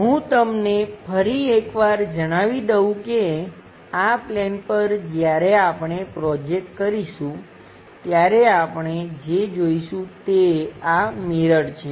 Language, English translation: Gujarati, Let me tell you once again on to this plane when we are projecting what we will see is this mirror